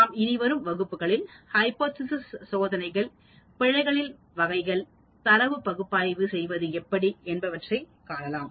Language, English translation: Tamil, We will continue in the next class further on the hypothesis testing, and type of errors, and how does one go about analyzing the data and so on